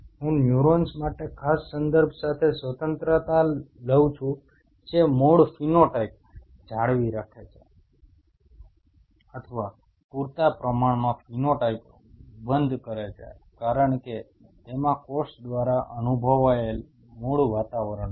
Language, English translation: Gujarati, I take the liberty with special reference to neurons retained the original phenotype or close enough phenotype as experienced by the cell in it is native environment